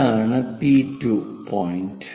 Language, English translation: Malayalam, This is P2 point